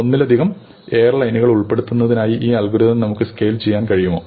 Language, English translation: Malayalam, Can we scale this algorithm to cover airlines, multiple airlines